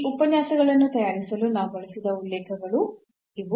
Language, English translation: Kannada, So, these are the references we have used for preparing these lectures